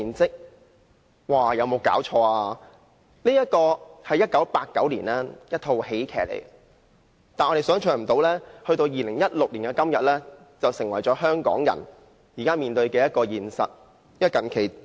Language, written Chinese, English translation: Cantonese, 這套1989年的喜劇電影，想不到到2016年的今天，竟成為香港人現時面對的現實。, That was a 1989 comedy . One could not imagine then that it actually showed the reality currently faced by Hong Kong people in 2016